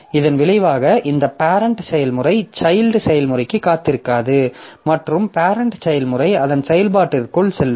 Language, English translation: Tamil, So, as a result, this child process, the parent process will not wait for the child process and parent process will go into its execution as it is